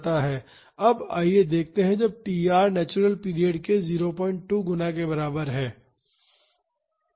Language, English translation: Hindi, So, this is when tr is equal to 3 times natural period